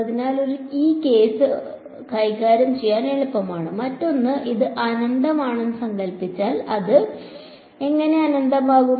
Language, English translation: Malayalam, So, that is one case easy to handle, the other case is supposing it is infinite how can it be infinite